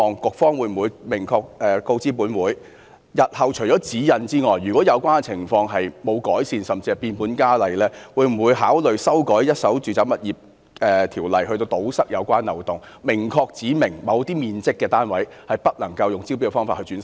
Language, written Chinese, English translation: Cantonese, 局方會否明確告知本會，日後除指引外，如果有關情況沒有改善，甚至是變本加厲，會否考慮修改《條例》，以堵塞有關漏洞，明確指明某些面積的單位不能夠以招標方式出售？, If there is no improvement to the situation or it even deteriorates can the Policy Bureau concerned tell this Council if it will consider amending the Ordinance to plug the relevant loophole by specifying that units below a certain floor area cannot be sold by way of tender?